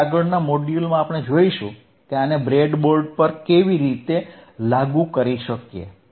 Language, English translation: Gujarati, Now, in the next module, let us see how we can implement this on the breadboard